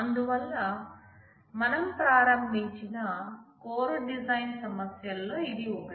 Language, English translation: Telugu, So, this is one of the core design issues that we will start with